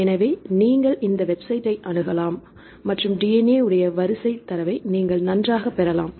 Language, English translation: Tamil, So, you can access this website and you can get the data of the DNA sequences fine